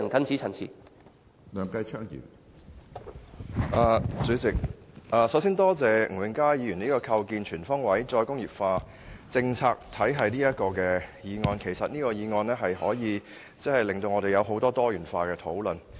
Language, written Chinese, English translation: Cantonese, 主席，首先多謝吳永嘉議員提出"構建全方位'再工業化'政策體系"議案，這項議案可以令我們展開多元化討論。, President first of all I would like to thank Mr Jimmy NG for moving the motion on Establishing a comprehensive re - industrialization policy regime which allows us to have diversified discussions